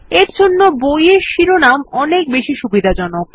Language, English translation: Bengali, For us, book titles are friendlier